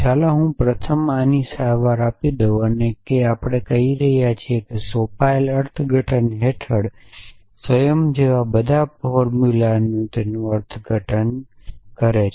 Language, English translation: Gujarati, So, let me first treat this out we are saying that a formula for all like self under an interpretation an assignment so what does the interpretation do